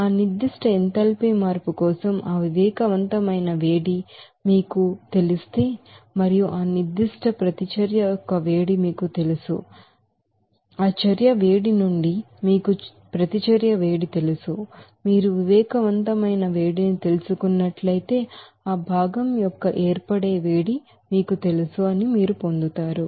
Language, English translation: Telugu, So if you know that sensible heat for that particular enthalpy change and if you know that you know heat of reaction for that particular you know reaction then from that heat of reaction if you subtract that you know sensible heat, you will get that you know heat of formation of that constituent